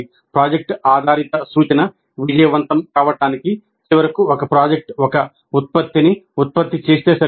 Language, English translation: Telugu, For project based instruction to succeed, it is not enough if finally a project produces a product